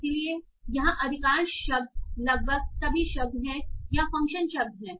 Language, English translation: Hindi, So most of the words here are almost all the words here are the functional words